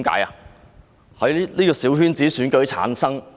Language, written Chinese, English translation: Cantonese, 因為他們是小圈子選舉產生。, Because they were returned by small - circle elections